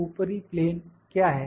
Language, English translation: Hindi, What is the top plane